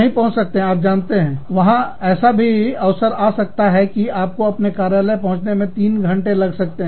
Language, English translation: Hindi, You could not get to, you know, there could be a chance, where you could reach the office, in three hours